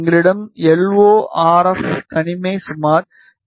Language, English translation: Tamil, We had LO RF isolation equal to around 20 dB